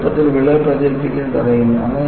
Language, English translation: Malayalam, They prevent easy crack propagation